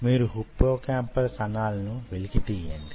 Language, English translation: Telugu, ok, so from the hippocampus you take out the neurons